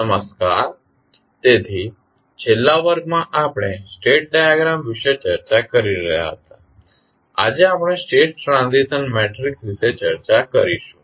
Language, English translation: Gujarati, Namaskar, so in last class we were discussing about the state diagram, today we will discuss about the State Transition Matrix